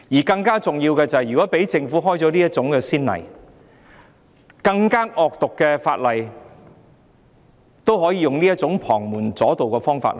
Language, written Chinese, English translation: Cantonese, 更重要的是，如果讓政府開了這種先例，更惡毒的法例也可以用這種旁門左道的方式處理。, More importantly still if we allow the Government to set such a precedent it can then deal with more draconian laws in this outlandish manner